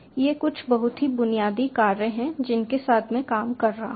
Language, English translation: Hindi, these are just some of the very basic functions i can work with